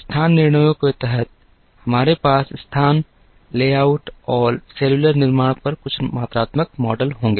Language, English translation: Hindi, Under the location decisions, we will have some quantitative models on location, layout and cellular manufacturing